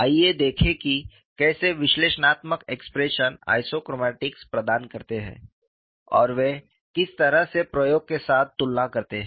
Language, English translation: Hindi, Let us see, how the analytical expressions provide the isochromatics and what way they compare with experiments